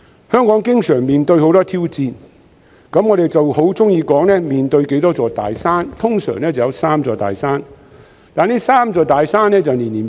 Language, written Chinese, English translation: Cantonese, 香港經常面對很多挑戰，我們喜歡說成面對多少座大山，通常會有三座大山，但這三座大山會年年改變。, Hong Kong is constantly facing many challenges . We like to say that Hong Kong is facing how many big mountains and usually there are three big mountains but these three big mountains will change year after year